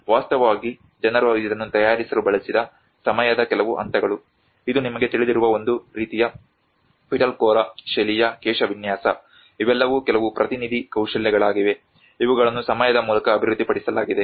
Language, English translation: Kannada, In fact, some point of the time people also used to make it, this is a kind of Pitalkhora style of hairstyle you know, these are all some representative skills which has been developed through time